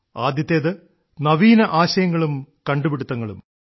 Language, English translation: Malayalam, The first aspect is Ideas and Innovation